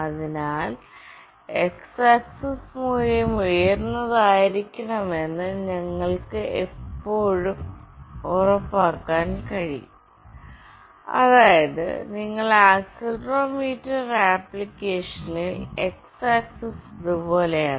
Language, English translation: Malayalam, So, you can always make sure that the x axis value should be high such that you have put up this accelerometer in that application in such a way that x axis is like this